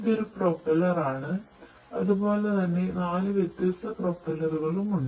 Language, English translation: Malayalam, So, this is basically one propeller likewise there are 4 different propellers